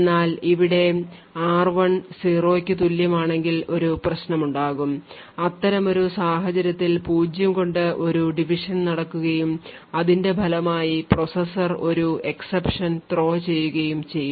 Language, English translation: Malayalam, So, there would be a problem that would occur if r1 happens to be equal to 0, in such a case we know that a divide by zero exception would be thrown and as a result the processor would need to discard the speculated execution